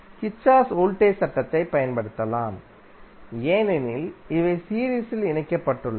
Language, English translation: Tamil, You can apply Kirchhoff’s voltage law, because it is, these are connected in loop